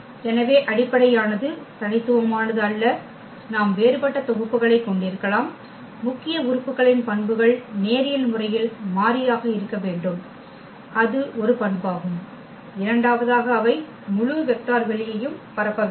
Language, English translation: Tamil, So, basis are not unique we can have a different sets, the main properties are the elements must be linearly independent that is one property and the second one should be that they should span the whole vector space